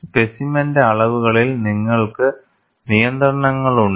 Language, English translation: Malayalam, You have constraints on specimen dimensions